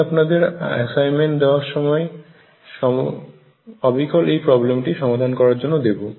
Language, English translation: Bengali, I will give you in the assignment the problem to calculate this exactly